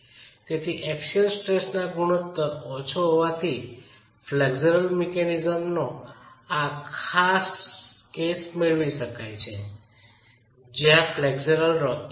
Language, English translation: Gujarati, So, the axial stress ratio being low, you can get this special case of flexual mechanism which is flexible rocking